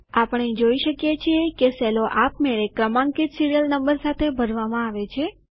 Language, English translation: Gujarati, We see that the cells automatically get filled with the sequential serial numbers